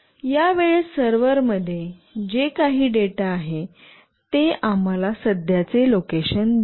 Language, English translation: Marathi, Whatever data is there in the server at this point of time, that will give us the current location